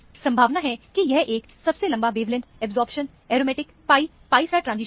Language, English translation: Hindi, Most likely, this is the longest wavelength absorbing aromatic pi pi star transition